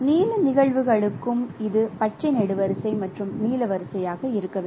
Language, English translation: Tamil, And for the blue cases also it should be the green column and blue row